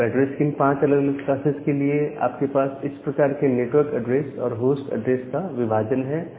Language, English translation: Hindi, Now, for this five different classes of address, you have this kind of network address and the host address division part